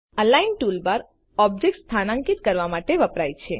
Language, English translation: Gujarati, The Align toolbar is used to position objects